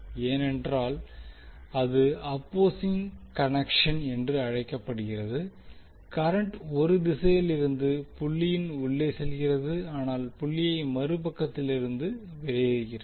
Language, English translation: Tamil, Because this is called opposing connection current is going inside the dot from one direction but exiting the dot from other side